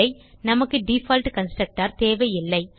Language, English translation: Tamil, The answer is we dont need the default constructor